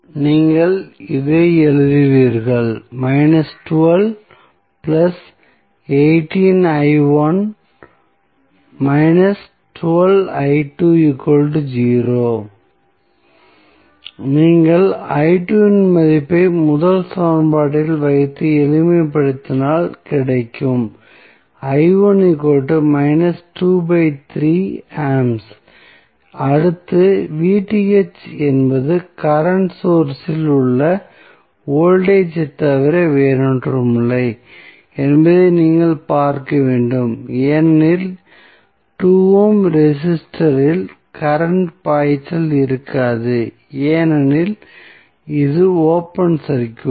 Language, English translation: Tamil, Now, what next you have to do you have to just see from the figure that Vth is nothing but the voltage across the current source because there would be no current flowing in 2ohm register because it is open circuit